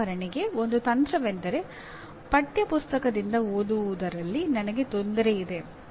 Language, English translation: Kannada, For example one strategy is I am having difficulty in reading from the textbook